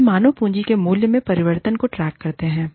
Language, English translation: Hindi, They track changes, in the value of human capital